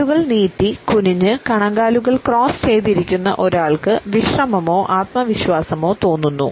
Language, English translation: Malayalam, A person sitting with legs stretched out stooped in ankles crossed is feeling relaxed or confident